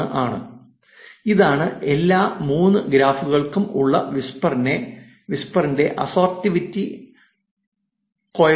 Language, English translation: Malayalam, 011 and this is the assortativity coefficient of the whisper, for all the 3 graphs